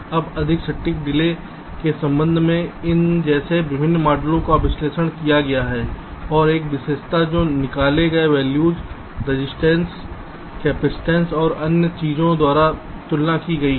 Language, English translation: Hindi, now various models like these have been analyzed and with respect to the more accurate delay characteristics which is obtained by extracted values, resistance, capacitance and other things have been compared